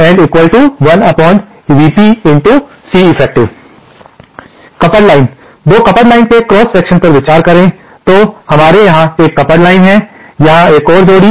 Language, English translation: Hindi, Consider a cross section of a coupled line, 2 coupled lines, so we have one couple line here, another couple line here